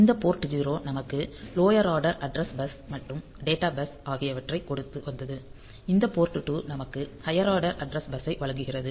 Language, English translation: Tamil, So, this port 0 was giving us the lower order address bus and the data bus and this port 2 is giving us the higher order address bus